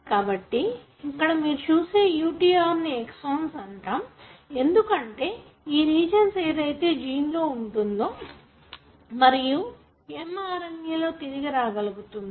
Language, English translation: Telugu, So here, what you see is that even this UTR is known as exons, because these are the regions that are present in the gene and they are retained in the mRNA